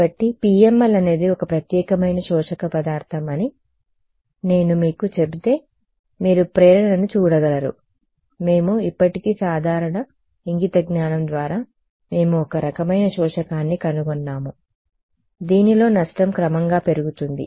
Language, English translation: Telugu, So, you can if I tell you that the PML is a special kind of absorbing material you can see the motivation, we have already come across just by simple common sense we have come up with one kind of absorber in which where the loss increases gradually right